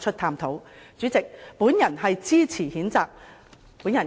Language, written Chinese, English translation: Cantonese, 代理主席，我謹此陳辭，支持譴責議案。, With these remarks Deputy President I support the censure motion